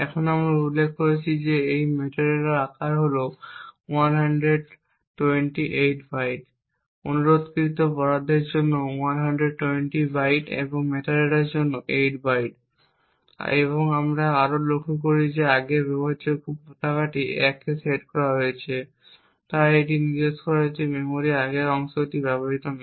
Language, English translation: Bengali, Now the size of this metadata as we have mentioned is 128 bytes, 120 bytes for the requested allocation and 8 bytes for the metadata, we also note that previous in use flag is set to 1, so this indicates that the previous chunk of memory is not in use